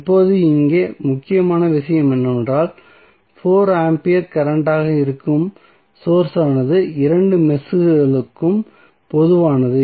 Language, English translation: Tamil, Now, here the important thing is that the source which is 4 ampere current is common to both of the meshes